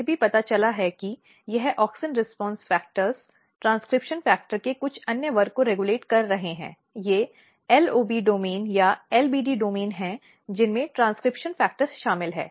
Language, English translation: Hindi, This you can see here as well and then it was also identified that this auxin response factors are regulating some other class of transcription factor, these are LOB domain or LBD domain containing transcription factor